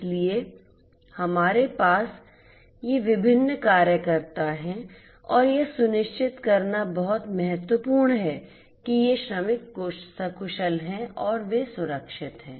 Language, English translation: Hindi, So, we have these different workers and it is very important to ensure that these workers are safe and they are secured right